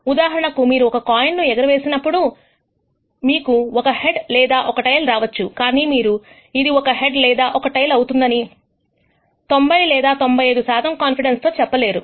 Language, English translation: Telugu, For example, if you toss a coin you know that you might get a head or a tail but you cannot say with 90 or 95 percent confidence, it will be a head or a tail